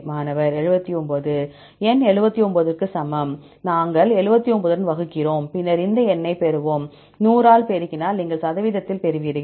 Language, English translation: Tamil, N equal to 79, we divide with the 79, then we will get this number and multiplied by 100 you will get in percentage